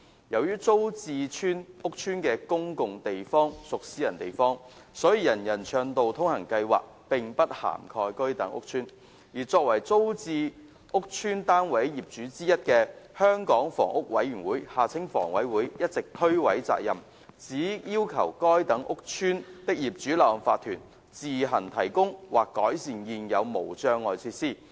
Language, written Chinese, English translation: Cantonese, 由於租置屋邨的公用地方屬私人地方，所以人人暢道通行計劃並不涵蓋該等屋邨，而作為租置屋邨單位業主之一的香港房屋委員會一直推諉責任，只要求該等屋邨的業主立案法團自行提供或改善現有無障礙設施。, As the common areas in TPS estates are private areas they are not covered by the Universal Accessibility Programme . The Hong Kong Housing Authority HA being one of the flat owners of TPS estates has all along been shirking its responsibility by merely requesting the Owners Corporations OCs of those estates to provide barrier - free facilities or enhance such existing facilities on their own